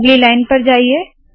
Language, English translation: Hindi, Go to the next line